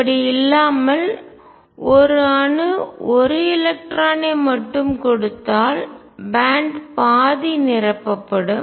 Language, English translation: Tamil, On the other hand if an atom gives only one electron band will be half filled